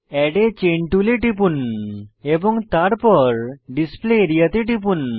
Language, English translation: Bengali, Click on Add a Chain tool, and then click on Display area